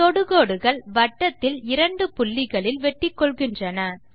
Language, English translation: Tamil, Two circles intersect at two points